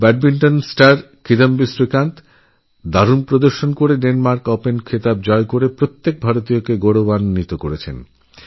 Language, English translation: Bengali, Badminton star Kidambi Srikanth has filled every Indian's heart with pride by clinching the Denmark Open title with his excellent performance